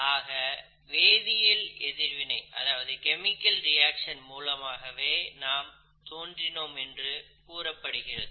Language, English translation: Tamil, In other words, we have essentially evolved from chemical reactions